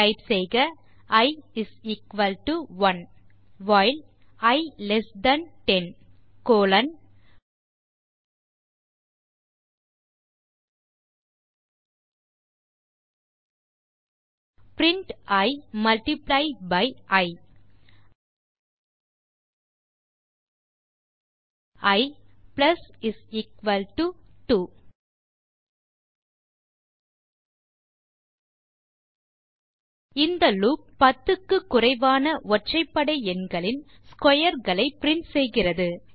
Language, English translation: Tamil, Type i = 1 while i less than 10 colon print i multiply by i i += 2 This loop prints the squares of the odd numbers below 10